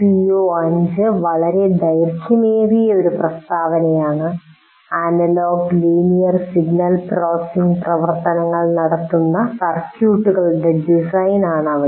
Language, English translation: Malayalam, O5 is a much longer statement where design circuits that perform a whole bunch of analog linear signal processing functions